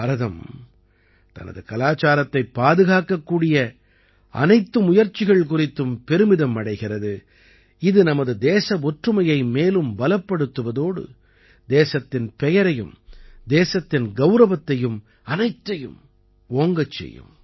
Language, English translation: Tamil, India is proud of every such effort to preserve her culture, which not only strengthens our national unity but also enhances the glory of the country, the honour of the country… infact, everything